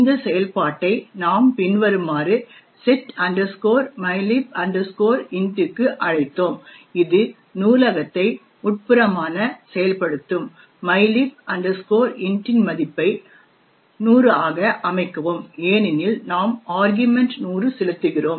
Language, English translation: Tamil, We invoked this function as follows setmylib int which would internally invoke the library, said the value of mylib int to 100 because we are passing the argument 100